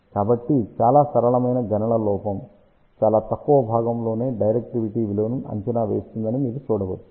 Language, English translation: Telugu, So, you can see that this very simple calculation predicts the value of the directivity within a very small fraction of error